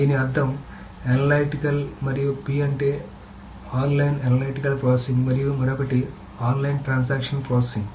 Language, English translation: Telugu, So what does this mean analytical and P stands for so this is online analytical processing and the other is of course online transactional processing